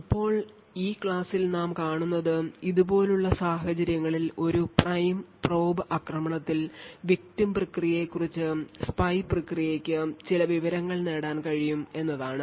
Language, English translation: Malayalam, Now what we will see in this lecture is that in a prime and probe attack in situation such as this it is possible for the spy process to gain some information about the victim process